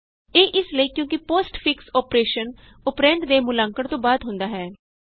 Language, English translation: Punjabi, This is because the postfix operation occurs after the operand is evaluated